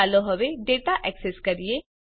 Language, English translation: Gujarati, let us now access data